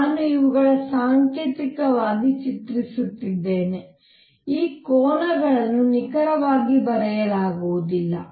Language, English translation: Kannada, I am just drawing these symbolically these angles are not written to be to be precise